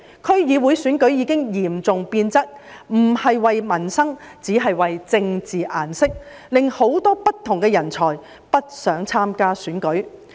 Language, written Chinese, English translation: Cantonese, 區議會選舉已經嚴重變質，不是為民生，只是為"政治顏色"，令很多不同人才不想參加選舉。, The DC elections have been seriously distorted . They no longer work for peoples livelihood but for the display of the colour of politics which has discouraged many talents from participating in elections